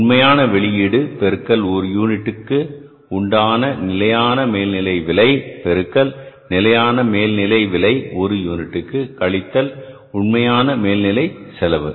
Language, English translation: Tamil, Actual output into standard overhead rate per unit into standard overhead rate per unit minus actual overhead cost